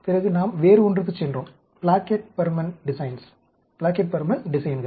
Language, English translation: Tamil, Now, then, we went into something else, the Plackett Burman designs